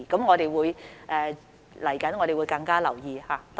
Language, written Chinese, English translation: Cantonese, 我們未來會多加留意。, We will pay more attention to this in the future